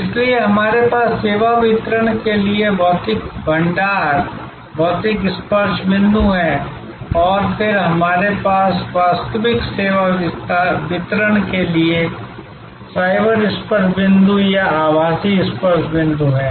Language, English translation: Hindi, So, we have physical stores, physical touch points for service delivery and then, we have cyber touch points or virtual touch points for actual service delivery